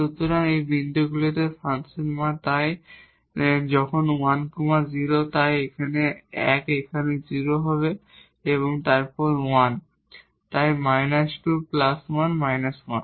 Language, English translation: Bengali, So, the function value at these points so, when 1 0 so, 1 here the 0 and then 1 so, minus 2 plus 1 minus 1